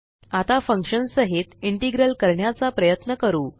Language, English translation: Marathi, Now let us try an integral with a function